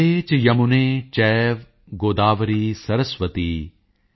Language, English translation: Punjabi, GangeCheYamuneChaive Godavari Saraswati